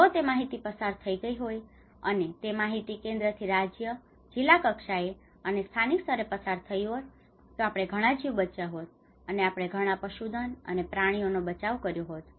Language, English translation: Gujarati, If that information has been passed out and that information has been from central to the state, to the district level, and to the local level, we would have saved many lives we have saved many livestock and as well as animals